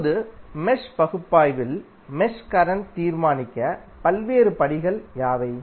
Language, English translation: Tamil, Now, what are the various steps to determine the mesh current in the mesh analysis